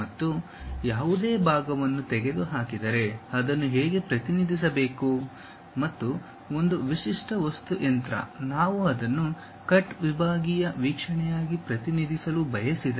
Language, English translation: Kannada, And, if any part is removed how to represent that and a typical machine element; if we would like to represent it a cut sectional view how to represent that